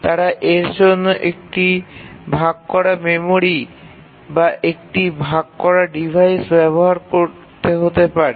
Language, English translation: Bengali, They may use a shared memory for this